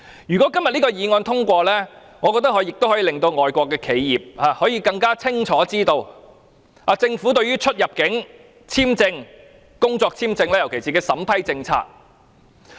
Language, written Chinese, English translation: Cantonese, 如果今天這項議案獲得通過，我覺得可以令外國企業更清楚知道政府對於入境簽證，特別是工作簽證的審批政策。, If the motion is passed today I think it would enable foreign enterprises to gain a better understanding of the policy adopted by the Government for vetting and approving entry visas especially work visas